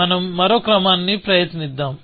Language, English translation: Telugu, So, let us try the other order